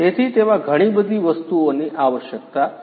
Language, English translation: Gujarati, So, lot of lot of different things are required in it